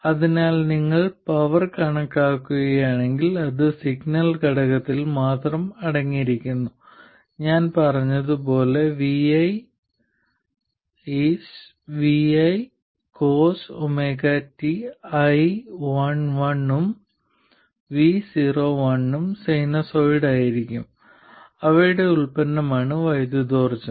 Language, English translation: Malayalam, So if you compute the power that is contained only in the signal component, like I said, VI is VI hat, cos omega T, both IL1 and VO1 will be sinusoid and the product is the power